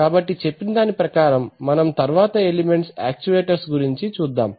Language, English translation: Telugu, So having said that let us look at the next element which is actuators